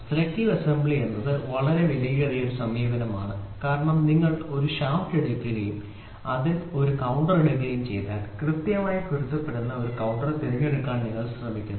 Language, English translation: Malayalam, Selective assembly is a costly approach why because you take a shaft and you take a counter of it then you try to choose a counter which exactly matches